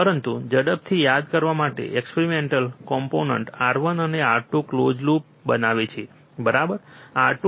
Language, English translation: Gujarati, But just to quickly recall, external components R 1 and R 2 form a close loop, right